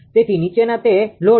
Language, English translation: Gujarati, So, it is a load following